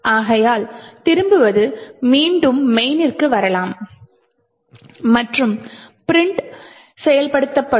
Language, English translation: Tamil, Therefore, the return can come back to the main and printf done would get executed